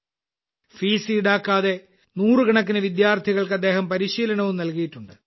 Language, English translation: Malayalam, He has also imparted training to hundreds of students without charging any fees